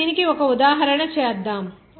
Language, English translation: Telugu, Now, let us have an example for this